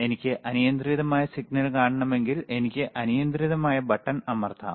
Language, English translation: Malayalam, If I want to see arbitrary signal, I can press arbitrary button